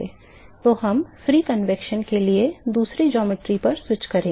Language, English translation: Hindi, So, we will switch to another geometry for free convection